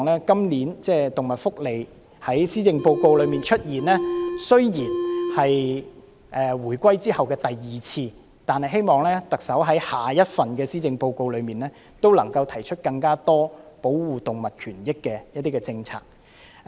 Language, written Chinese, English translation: Cantonese, 今次施政報告中提及動物福利是回歸後的第二次，我希望特首在下一份施政報告中，能提出更多有關保障動物權益的政策。, This is the second time that animal welfare is mentioned in the Policy Address after the reunification . I hope that in the next Policy Address the Chief Executive will introduce more initiatives for the protection of animal rights